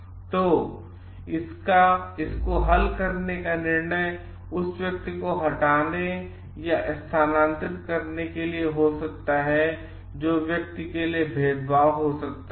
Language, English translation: Hindi, So, the treatment like the judgment is to remove or transfer this person could be against the could be discriminating for the person